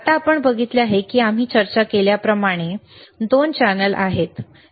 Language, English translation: Marathi, Now you see there are 2 channels like we have discussed, right